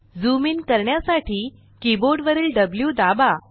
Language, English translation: Marathi, Press W on the keyboard to zoom in